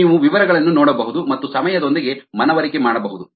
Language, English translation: Kannada, you can take a look at the details, convince yourself with time